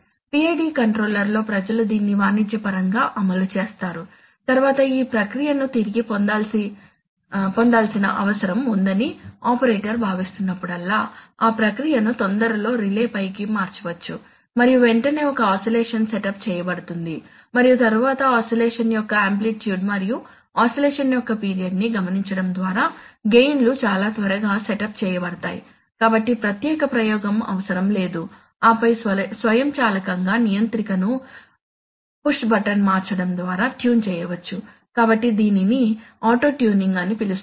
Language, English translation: Telugu, And it so happens that people have actually implemented this commercially in the PID controller, so that whenever the operator feels that the process needs to be retuned, then the process can be momentarily flicked on to the relay and immediately an oscillation will be setup and then by noting the amplitude of oscillation and the period of oscillation, the gains can be setup in very quick, quickly, so no separate experimentation necessary and then automatically the controller can be tuned just by the flick of a push button therefore it is called auto tuning right